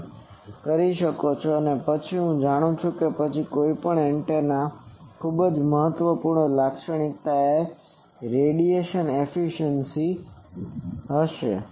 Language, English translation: Gujarati, Now, next is once I know this, then a very important characteristic of any antenna is radiation efficiency